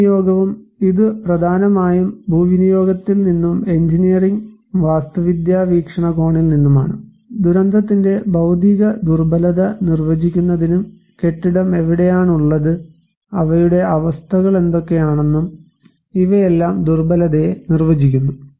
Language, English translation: Malayalam, Like, the land use and this mainly came from land use and engineering architectural perspective to define the physical vulnerability of disaster and also like the which locations the building are there, what are their conditions so, these all defined the buildings of vulnerability